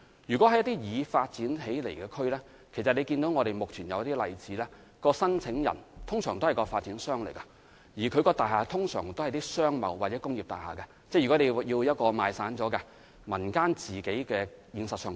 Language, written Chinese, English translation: Cantonese, 如果是已發展的地區，正如大家所見，目前一些例子是申請人通常是發展商，而其大廈通常屬於商貿或工業大廈，因為如果業權過於分散，業主未必願意自行興建有關設施。, In the case of developed districts as Members can see from some current examples the applicants are normally developers and their buildings are usually commercial or industrial buildings because if the ownership of a building is too fragmented the owners may not be willing to construct these facilities at their own costs